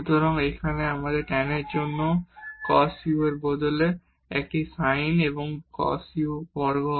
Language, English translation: Bengali, So, here a sin u over cos u for tan and this is cos is square u